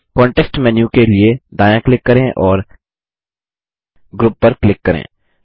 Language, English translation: Hindi, Right click for the context menu and click Group